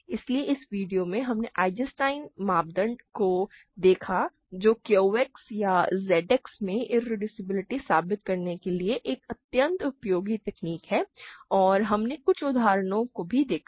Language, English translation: Hindi, So, in this video we looked at Eisenstein criterion which is an extremely useful technique to prove irreducibility in Q X or Z X and we also looked at some examples